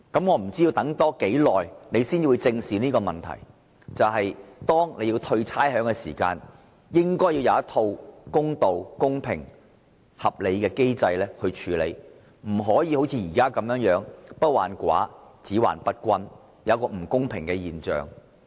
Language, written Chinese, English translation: Cantonese, 我不知道政府還要等多久才會正視這些問題，例如在退還差餉時，應該要有公平合理的機制，而不要像現在般，不患寡而患不均，導致不公平的現象。, I wonder how much longer the Government will have to wait before it addresses the issues squarely . For example in respect of rates rebate a fair and reasonable mechanism should be put in place unlike what is happening now the problem is not with scarcity but uneven distribution